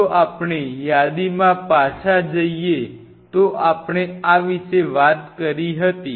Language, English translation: Gujarati, If we talk about if we go back to our list, we talked about this